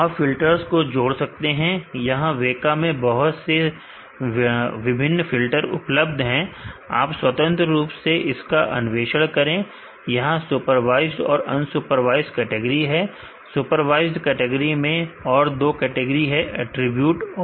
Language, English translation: Hindi, You can add filters here a lot of different the filters are available in WEKA, feel free to explore it and, there is a supervised category and unsupervised category, in supervised category there is another two categories attribute and instance